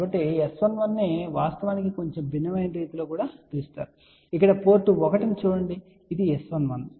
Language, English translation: Telugu, So, S 11 actually can also be termed in a slightly different way that is look at the port 1 here this is S 11